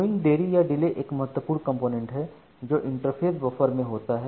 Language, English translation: Hindi, So, the queuing delay is the delay at the interface buffer